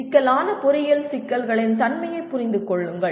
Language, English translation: Tamil, Understand the nature of complex engineering problems